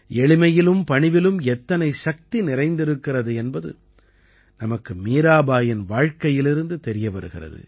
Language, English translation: Tamil, We come to know from the lifetime of Mirabai how much strength there is in simplicity and modesty